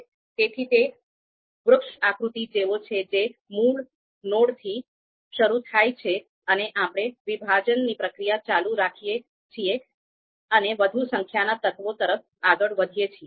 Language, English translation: Gujarati, So, it is like a tree like diagram and starts from the root node and we keep on dividing and keep on moving towards more number of elements